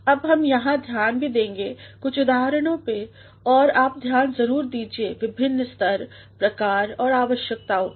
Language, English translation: Hindi, Now, we shall here also focus on some of the examples and you must pay attention to the different stages, types and essentials